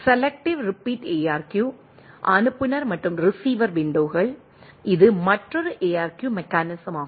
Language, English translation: Tamil, Selective repeat ARQ sender and receiver windows, this is another ARQ mechanisms